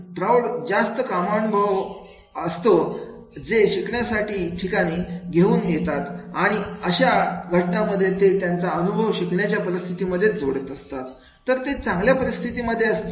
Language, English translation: Marathi, Adults bring more work related experiences into the learning situation and then in that case if they are able to be related experience into the learning situations, they will be in a better status